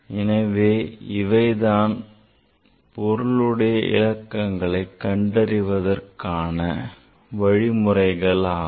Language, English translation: Tamil, So, so this is the rule how to find out the significant figure of a number